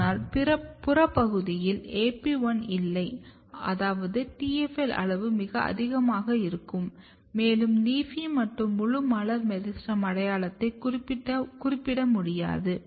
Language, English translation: Tamil, But in the peripheral from region you do not have AP1 which means that TFL level will also go very high and LEAFY is alone cannot specify full floral meristem identity